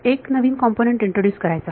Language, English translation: Marathi, We introduce new components